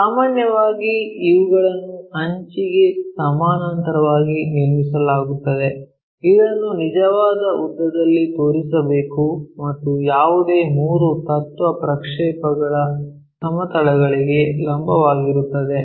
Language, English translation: Kannada, Usually, these are constructed parallel to the edge which is to be shown in true length and perpendicular to any of the three principle projection planes